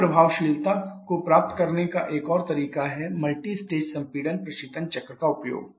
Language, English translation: Hindi, Another way of getting the same effectiveness is the use of multistage compression refrigeration cycle